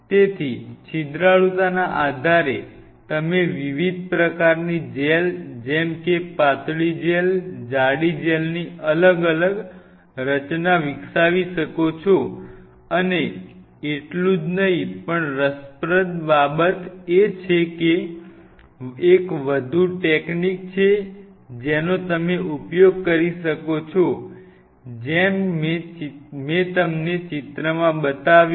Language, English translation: Gujarati, So, based on the porosity you really can develop different kind of gels thin gel, thick gels different of the structure and not only that the interesting part is there is one more technique what you can use you can even take this like I showed you this picture